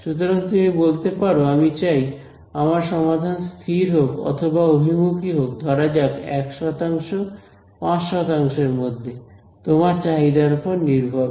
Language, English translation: Bengali, So, you can say I want my solution to stabilize or converge within say 1 percent, 5 percent whatever depending on your requirement